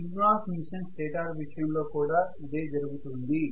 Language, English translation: Telugu, This is the same case with synchronous machine stator as well